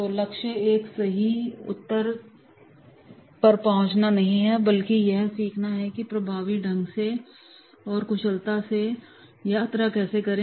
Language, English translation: Hindi, So the goal is not arrive at one right answer but to learn how to journey towards an answer effectively and efficiently